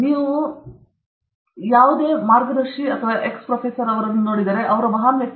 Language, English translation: Kannada, If you look at a guide, some particular X professor, 450 papers, what a great person he is